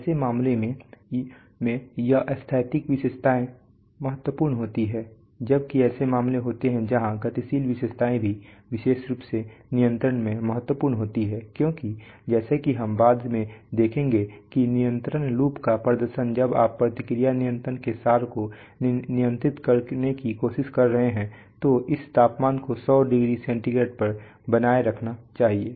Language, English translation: Hindi, In such cases these static characteristics is of importance while there are cases where dynamic characteristics is also important especially in control because as we shall see later that the performances of control loops for example when you are trying to control the essence of feedback control is that suppose you're saying that this temperature should be maintained at 100 degree centigrade